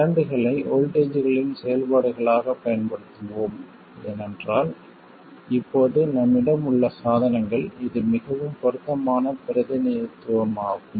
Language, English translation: Tamil, We will use current search functions of voltages because for the devices that we have now this is the most relevant representation